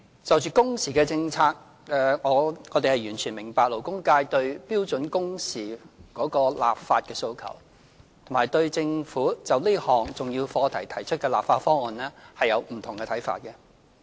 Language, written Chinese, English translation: Cantonese, 就着工時政策，我們完全明白勞工界對標準工時立法的訴求，並對政府就這項重要課題提出的立法方案的不同看法。, As regards the working hours policy we fully understand the aspirations of the labour sector for legislating on standard working hours as well as their diverse views on the Governments legislative proposals on this important subject